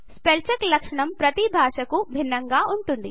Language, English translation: Telugu, The spell check feature is distinct for each language